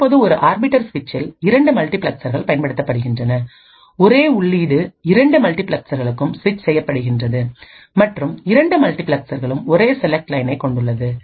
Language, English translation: Tamil, Now, in an arbiter switch two multiplexers are used, the same input is switched to both multiplexers present and both multiplexers have the same select line